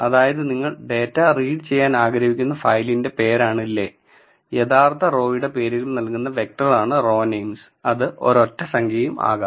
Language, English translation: Malayalam, So, le is the name of the file from which you want to read the data and row names is the vector giving the actual row names, could also be a single number